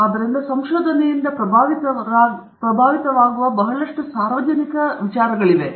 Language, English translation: Kannada, So, there is a lot of public policy that is affected by research that is done